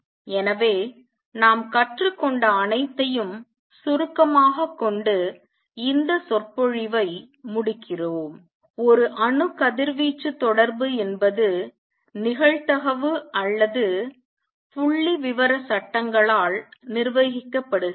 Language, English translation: Tamil, So, we conclude this lecture by summarizing whatever we have learnt 1 the atom radiation interaction is governed by probability or statistical laws